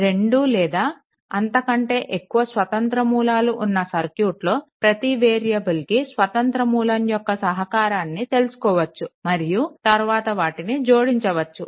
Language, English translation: Telugu, So, if a circuit has 2 or more independent sources one can determine the contribution of each independent source to the variable and then add them up